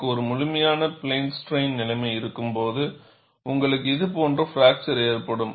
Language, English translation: Tamil, When I have a complete plane strain situation, you will have a fracture like this